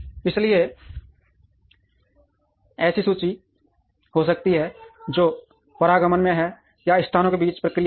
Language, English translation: Hindi, So, there could be inventory which is in transit or in process between locations also